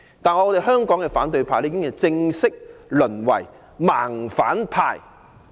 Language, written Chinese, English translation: Cantonese, 但香港的反對派已正式淪為"盲反派"。, But the opposition camp in Hong Kong has formally become the blind opposition